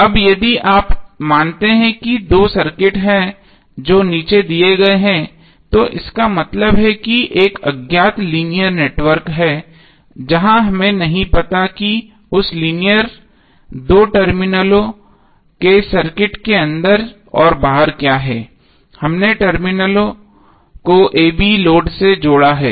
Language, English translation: Hindi, Now if you assume that there are two circuits which are shown below are equivalent that means there is an unknown linear network where we do not know what is inside and outside that linear two terminals circuit we have connected a load across terminals a b